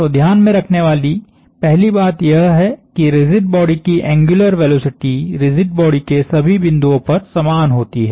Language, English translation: Hindi, So, first point to take home is that the angular velocity of the rigid body is the same at all points in the rigid body